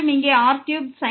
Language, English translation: Tamil, So, this is 3 here